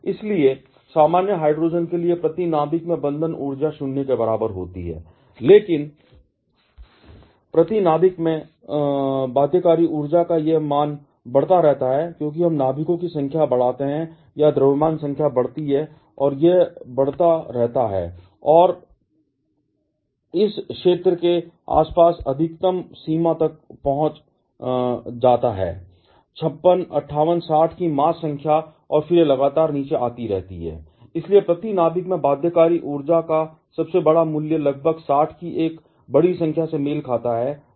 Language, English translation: Hindi, Therefore, binding energy per nucleon for common hydrogen is equal to 0, but this value of binding energy per nucleon keeps on increasing as we increase the number of nucleons or the mass number increases and this keeps on growing and reaches a maxima around this zone of mass number of 56, 58, 60 and then it keeps on coming down steadily